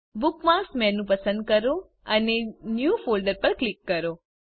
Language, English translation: Gujarati, * Select Bookmarks menu and click on New Folder